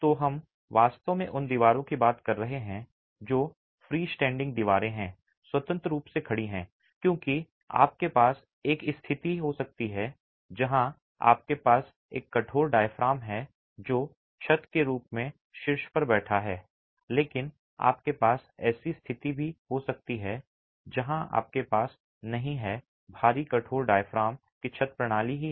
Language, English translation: Hindi, So, we are really talking of walls which are freestanding walls, okay, freestanding simply because you could have a situation where you have a rigid diaphragm which is sitting on the top as the roof, but you could also have a situation where you don't have a heavy rigid diaphragm that is the roof system itself